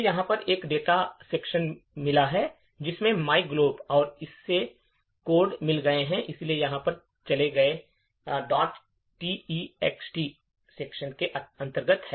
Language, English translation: Hindi, It has got a data section over here which is my global and it has got the codes so went over here which is under this my text